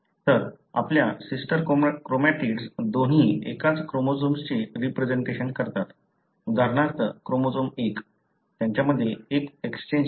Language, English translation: Marathi, So, you have sister chromatids both representing the same chromosome, for example chromosome 1, there is an exchange between them